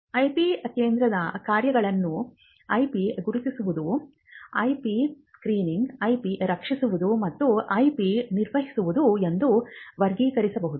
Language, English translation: Kannada, So, the functions of the IP centre will just broadly classify them as identifying IP, screening IP what we call IP intelligence, protecting IP and maintaining IP